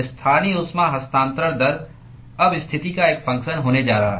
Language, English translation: Hindi, the local heat transfer rate is now going to be a function of position